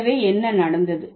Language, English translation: Tamil, So, what has happened